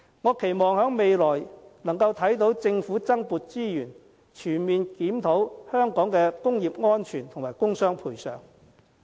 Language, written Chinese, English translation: Cantonese, 我期望未來能夠看到政府增撥資源，全面檢討香港的工業安全和工傷賠償。, I hope that the Government will allocate more resources to comprehensively review industrial safety and compensation for injuries at work in Hong Kong